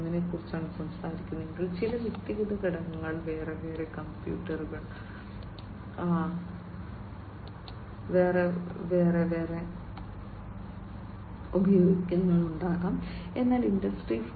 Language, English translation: Malayalam, 0, some individual components might be using separate computers separately, but in the Industry 4